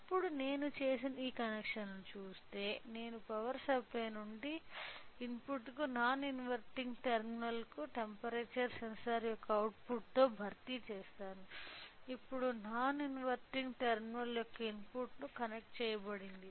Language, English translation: Telugu, Now, if we see the connections what I have done is I replace the input from power supply to the input to non inverting terminal replace with output of the temperature sensor, now has been connected to the input of non inverting terminal